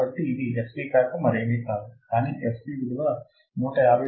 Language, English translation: Telugu, So, fc is nothing, but 159